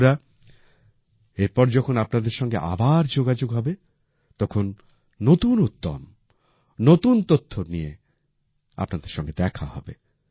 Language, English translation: Bengali, Friends, the next time I converse with you, I will meet you with new energy and new information